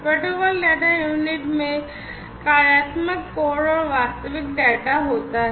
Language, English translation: Hindi, So, basically the protocol data unit has the functional code, function code and the actual data